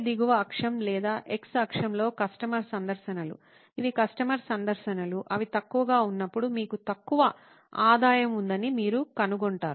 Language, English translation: Telugu, On the bottom axis or the x axis, you find that the customer visits, these are customer visits, when they are few, you have low revenue